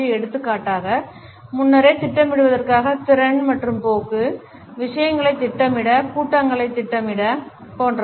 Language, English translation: Tamil, For example, the capability and tendency to plan ahead, to schedule things, to schedule meetings etcetera